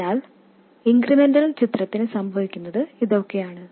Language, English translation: Malayalam, So this is what happens in the incremental picture